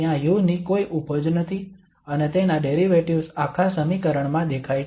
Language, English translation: Gujarati, There is no product of u and its derivative appearing in the whole equation